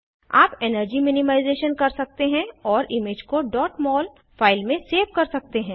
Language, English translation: Hindi, You can do energy minimization and save the image as dot mol file